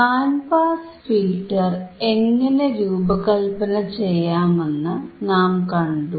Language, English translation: Malayalam, So, we have seen how the band pass filter can be designed